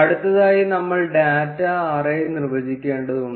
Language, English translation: Malayalam, Next, we need to define the data array